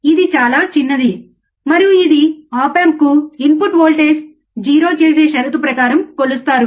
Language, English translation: Telugu, It is extremely small um, and it is measured under a condition that input voltage to the op amp is 0, right